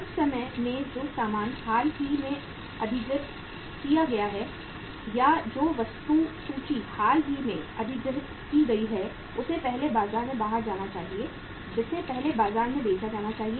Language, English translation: Hindi, Sometime the goods which have been recently acquired or the inventory which has been recently acquired that should first go out in the market that should be first sold in the market